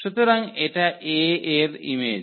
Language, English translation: Bengali, So, image of this A